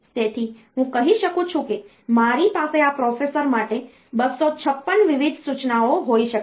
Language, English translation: Gujarati, So, I can say that I can have 256 different instructions for this processor